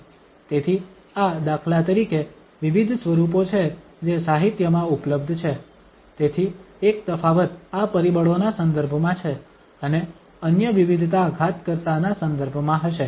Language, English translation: Gujarati, So, these are the for instance, various forms which are available in the literature, so one variation is with respect to these factors and the other variation will be with respect to the exponent